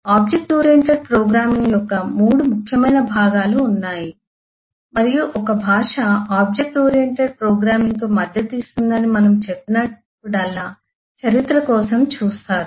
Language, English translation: Telugu, there are 3 important parts of object oriented programming and whenever we say that a language supports object oriented programming will typically look for the history